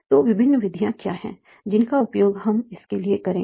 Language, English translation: Hindi, So what are different methods that we will be using for this